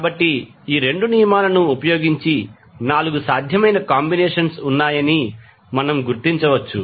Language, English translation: Telugu, So, using these 2 rules, we can figure out that there are 4 possible combinations